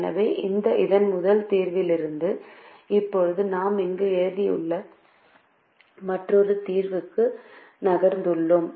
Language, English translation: Tamil, so from this solution, from this solution, from this solution the first solution we have now moved to another solution that we have written here